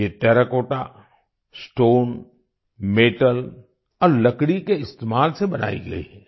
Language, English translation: Hindi, These have been made using Terracotta, Stone, Metal and Wood